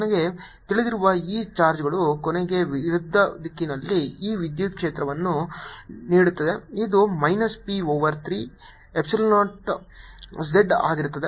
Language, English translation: Kannada, this charge, i know, gives me electric field in the opposite direction: e, which is going to be minus b over three epsilon, zero z